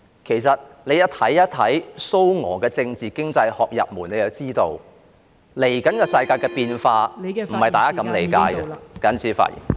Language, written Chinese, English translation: Cantonese, 其實他們看蘇俄的政治經濟學入門便知道，世界未來的變化，並非如大家所理解般......, In truth if they read the introduction to Soviet political economics they will know that the future changes of the world will not be like what they understand them to be I so submit